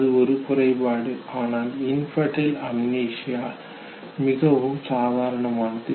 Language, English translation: Tamil, It is a disorder, but infantile amnesia is considered to be perfectly normal